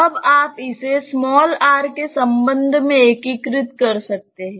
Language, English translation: Hindi, You can now integrate this with respect to r